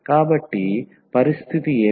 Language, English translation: Telugu, So, what is the condition